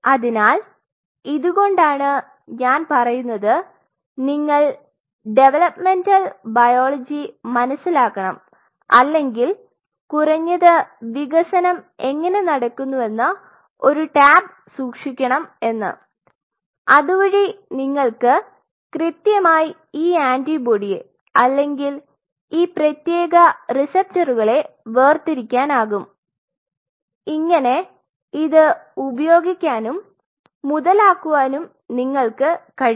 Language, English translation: Malayalam, So, that is what I say that you have to understand developmental biology or at least you should keep a tab how the development is happening so that you can separate out things you know exactly this antibody or this particular receptor will be there I can utilize I can capitalize on it